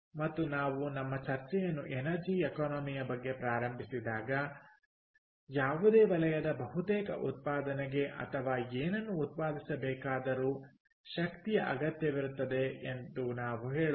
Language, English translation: Kannada, ok, and when we started our discussion, energy economics, we rather say that almost output of any sector, or anything, production of anything, requires energy